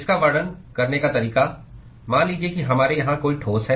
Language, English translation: Hindi, The way to describe it supposing if we have a solid here